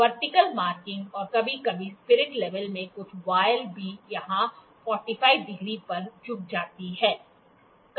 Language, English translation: Hindi, Vertical markings, and sometime a few voiles in the spirit level also at 45 degree here